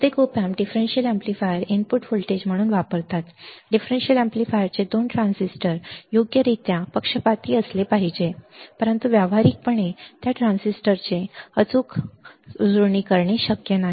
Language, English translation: Marathi, Most of the op amps use differential amplifier as a input voltage the 2 transistors of the differential amplifier must be biased correctly, but practically it is not possible to get exact matching of those transistors